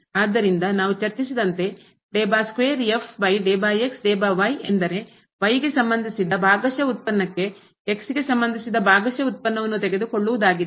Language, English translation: Kannada, Similarly, we have the notation when we take the partial derivative of and then we are taking the partial derivative with respect to